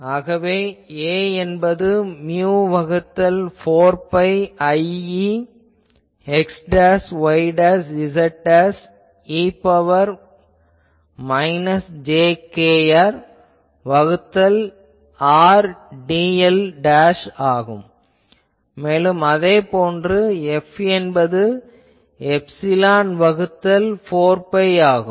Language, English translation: Tamil, So, A is equal to mu by 4 pi I e x dashed y dashed z dashed e to the power minus jkr by R dl dashed and F is equal to epsilon by 4 pi ok